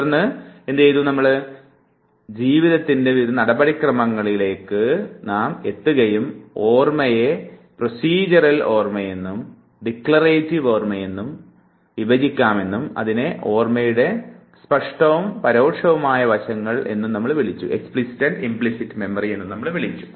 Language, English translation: Malayalam, And then we came to the procedural aspect of the life that we memorize saying that memory can be divided into procedural and declarative memory what is also called as explicit and implicit aspects of memory